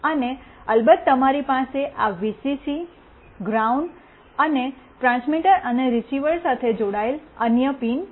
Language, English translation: Gujarati, And of course, you have this Vcc, ground, and other pins to be connected along with transmitter and receiver